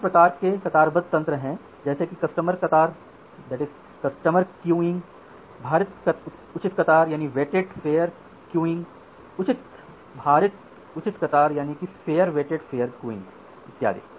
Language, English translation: Hindi, There are other kind of queuing mechanism like custom queuing, weighted fair queuing, fair weighted fair queuing and so on